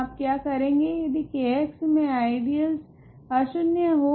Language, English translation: Hindi, What you do is if the ideal in k x is not zero